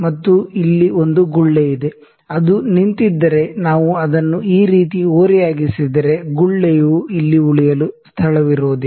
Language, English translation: Kannada, And there is a bubble here, if it is a stationed you know if we tilts like this on this, the bubble wouldn’t find a space to stay here